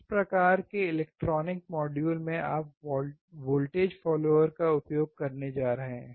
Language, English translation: Hindi, In which kind of electronic modules are you going to use voltage follower